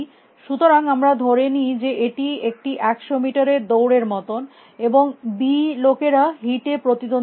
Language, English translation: Bengali, So, let us assume it is like a hundred meter sprint and b people compete in a heat